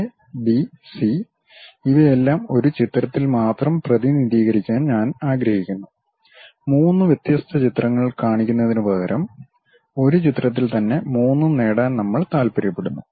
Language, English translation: Malayalam, All these A, B, C I would like to represent only on one picture; instead of showing it three different pictures, we would like to have three on one thing